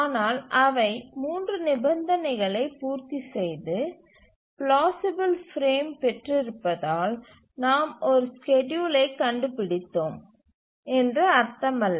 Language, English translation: Tamil, But then just because they satisfied the three conditions and have got a plausible frame does not mean that we have found a schedule